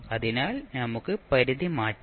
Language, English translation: Malayalam, So, you can simply change the limit